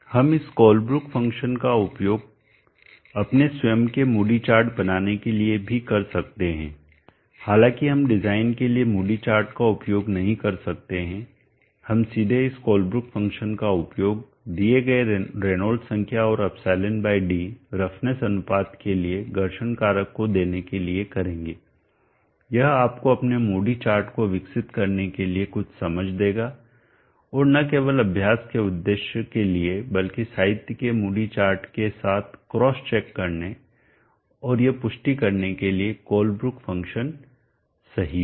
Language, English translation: Hindi, We can also use this Colebrook function to make our own moody chart through we may not use the moody chart for design we will directly use this Colebrook function to give the friction factor for a given Reynolds number and e by d roughness ratio it will give you inside some inside and understanding to develop our own moody chart not only for only exercise purpose but also to cross check with the moody chart there in the literature and to validate that Colebrook function is correct